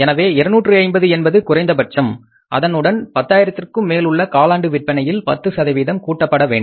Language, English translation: Tamil, So, minimum is 250 per month plus 10% of the sales over and above the 10,000 of the quarterly sales